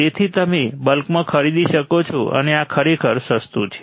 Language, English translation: Gujarati, So, you can buy in bulk and this is really cheap